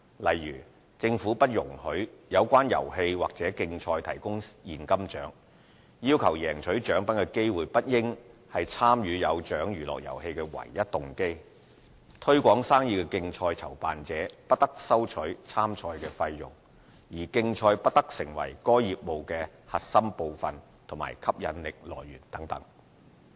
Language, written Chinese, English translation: Cantonese, 例如，政府不容許有關遊戲或競賽提供現金獎、要求贏取獎品的機會不應是參與"有獎娛樂遊戲"的唯一動機、"推廣生意的競賽"籌辦者不得收取參賽費用，而競賽不得成為該業務的核心部分或吸引力來源等。, Some examples of the licence conditions include not allowing the offering of money prize for amusements or competitions the opportunity to win a prize being not the only inducement to participate in Amusements with Prizes no fee being charged for entering Trade Promotion Competitions and the competitions being not the core part or main attraction of a business